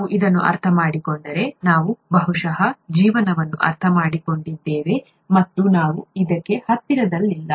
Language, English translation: Kannada, If we understand this, then we have probably understood life, and, we are nowhere close to this